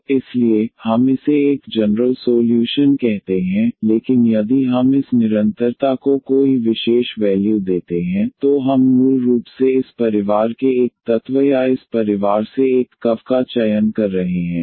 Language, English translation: Hindi, So, therefore, we call this as a general solution, but if we give any particular value to this constant, then we are basically selecting one element of this family or one curve out of this family